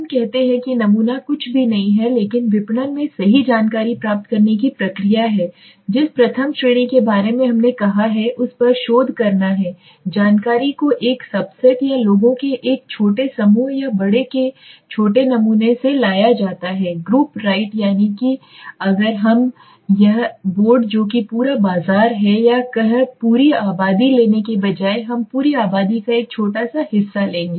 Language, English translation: Hindi, of obtaining information right in marketing research the very first class we said it is all about information right but here we are saying that the information is brought from a subset or a small group of people or small sample of a large group right that means if this is let us say the board which is the entire market or let us say the entire population instead of taking the entire population we will take a small part of it right